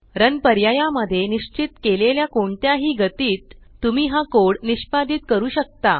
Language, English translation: Marathi, You can execute this code at any of the speeds specified in the Run option